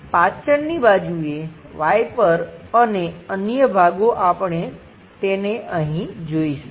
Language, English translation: Gujarati, The back side, viper, and other things that portion we will see it here